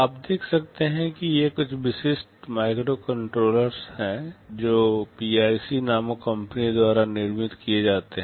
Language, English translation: Hindi, You can see these are some typical microcontrollers that are manufactured by a company called PIC